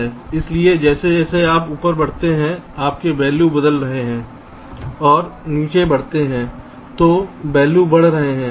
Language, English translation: Hindi, so as you move up, your values are changing, move down, values are increasing